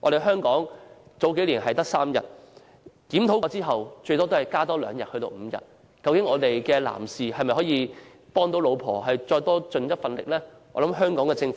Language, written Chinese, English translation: Cantonese, 香港數年前只有3天，檢討後只增加2天至5天，難道男士不可以為太太多出一分力嗎？, Several years ago the leave granted in Hong Kong was only three days . After a review it was increased by two days to five days . Why are men unable to make a greater effort for their wives?